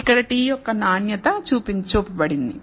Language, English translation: Telugu, So, here the quality of the t is shown here